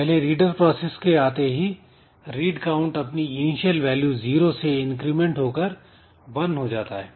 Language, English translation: Hindi, Now if this is the first reader process then read count value was initially zero now it has become 1